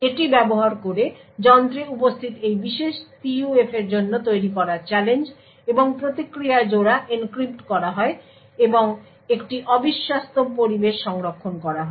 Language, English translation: Bengali, Using this, the challenge and response pairs which is generated for this particular PUF present in the device is encrypted and stored in an un trusted environment